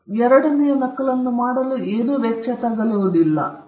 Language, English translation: Kannada, So, the cost of making the second copy is next to nothing